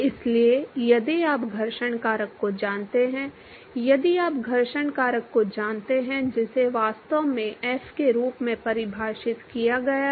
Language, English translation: Hindi, So, if you know the friction factor, if you know friction factor that is actually defined as f